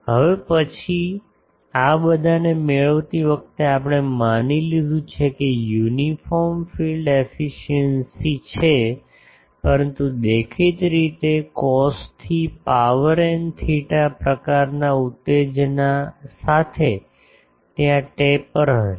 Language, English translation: Gujarati, Now, then while deriving all these we have assumed that uniform field illumination in the aperture but obviously, with the cos to the power n theta type of excitation there will be taper